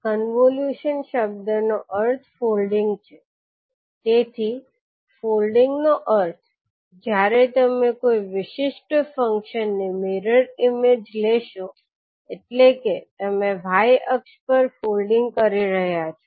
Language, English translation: Gujarati, The term convolution means folding, so folding means when you take the mirror image of a particular function, means you are folding across the y axis